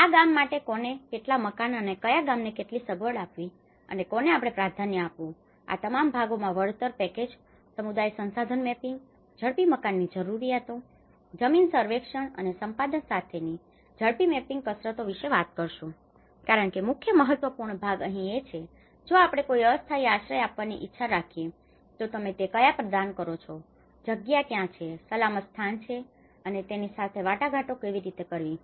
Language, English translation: Gujarati, So, all this part has to be given and this is where we talk about compensation packages, rapid mapping exercises with community resource mapping, housing needs, land survey and acquisition because the main important part is here that if we want to provide any temporary shelter, where do you provide, where is the space, which is a safe place and how to negotiate it